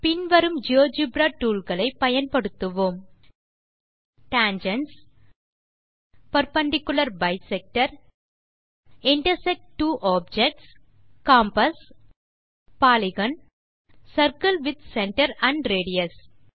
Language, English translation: Tamil, We will use the following Geogebra tools .Tangents, .Perpendicular Bisector, .Intersect two Objects, .Compass, .Polygon .Circle with Center and Radius